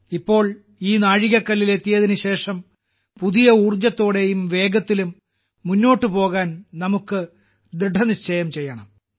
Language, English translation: Malayalam, Now after reaching this milestone, we have to resolve to move forward afresh, with new energy and at a faster pace